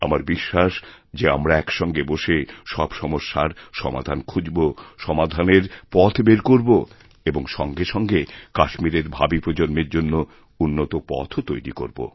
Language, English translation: Bengali, I am very sure that by sitting together we shall definitely find solutions to our problems, find ways to move ahead and also pave a better path for future generations in Kashmir